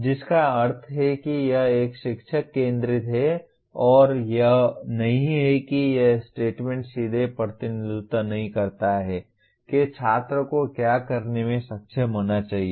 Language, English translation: Hindi, Which means it is a teacher centric and it is not this statement does not directly represent what the student should be able to do